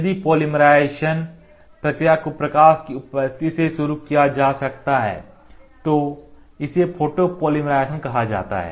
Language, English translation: Hindi, If the polymerization process can be initiated by a presence of light, it is called as photopolymerization